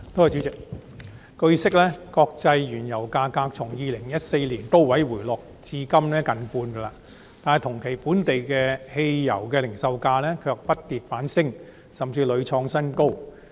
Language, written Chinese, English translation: Cantonese, 主席，據報，國際原油價格從2014年高位回落至今近半，但同期本地汽油零售價卻不跌反升，甚至屢創新高。, President it has been reported that while international crude oil prices have dropped by nearly half from the peak in 2014 local petrol pump prices have gone up instead of going down over the same period and even hit record high time and again